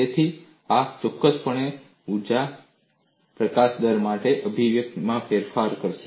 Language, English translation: Gujarati, So, this would definitely alter the expression for energy release rate